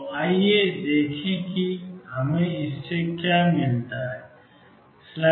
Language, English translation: Hindi, So, let us see what do we get from this